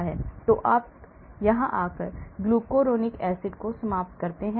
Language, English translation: Hindi, so you end up glucuronic acid coming here